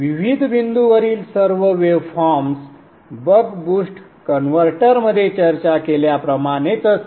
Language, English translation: Marathi, All the waveforms at various points will be similar to what has been discussed in the buck boost converter